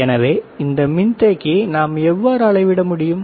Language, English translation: Tamil, So, how we can measure this capacitor